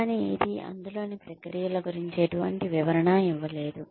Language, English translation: Telugu, But, it did not offer any explanation of the processes involved